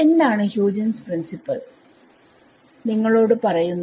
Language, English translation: Malayalam, What is the Huygens principle tell you